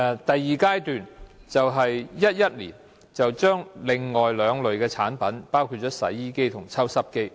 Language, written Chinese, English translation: Cantonese, 第二階段，是2011年，加入另外兩類產品，即洗衣機和抽濕機。, In the second phase implemented in 2011 two additional types of products namely washing machines and dehumidifiers were added